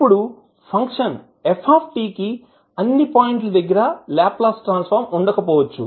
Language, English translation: Telugu, Now, the function ft may not have a Laplace transform at all points